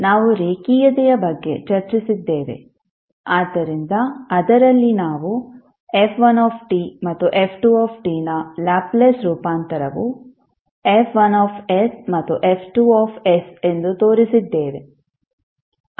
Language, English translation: Kannada, We discussed about linearity, so in that we demonstrated that if the Laplace transform of f1 t and f2 t are F1 s and F2 s